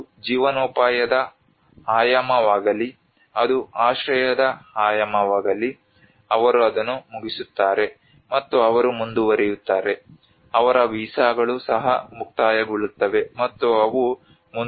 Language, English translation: Kannada, Whether it is a livelihood dimension, whether it is a shelter dimension, they finish that, and they move on, their visas are also expire, and they move on